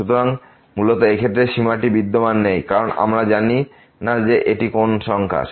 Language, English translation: Bengali, So, basically in this case this limit does not exist because we do not know what number is this